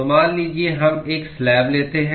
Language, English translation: Hindi, So, suppose we take a slab